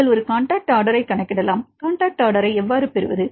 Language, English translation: Tamil, Then you can calculate a contact order, how to get the contact order